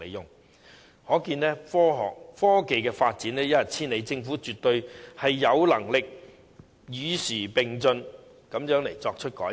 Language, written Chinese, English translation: Cantonese, 由此可見，科技發展一日千里，政府絕對有能力與時並進及作出改變。, From this we can see that with rapid technological advancement the Government is absolutely capable of progressing abreast of the times and introducing changes